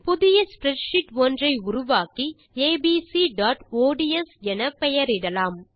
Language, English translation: Tamil, Lets create a new spreadsheet and name it as abc.ods